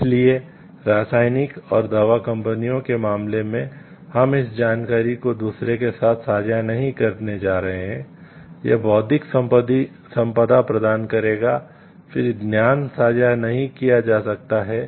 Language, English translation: Hindi, So, in case of chemical and pharmaceutical entities and you are not going to share this information with others based on like it will tell to the intellectual property, then knowledge sharing cannot happen